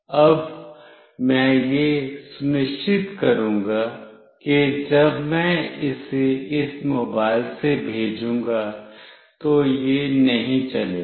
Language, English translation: Hindi, Now, I will make sure that I will when I send it from this mobile, this will not run